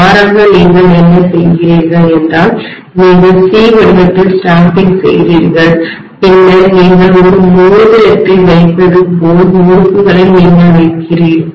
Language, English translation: Tamil, Rather what you do is, you make the stamping in the shape of C then you just put the winding like, you put a ring, right